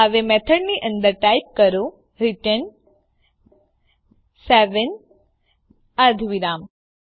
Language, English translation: Gujarati, Now inside the method type return seven, semicolon